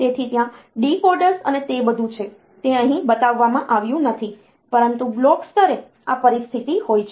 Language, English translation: Gujarati, So, there are decoders and all that, they are not shown here, but at the block level, this is the situation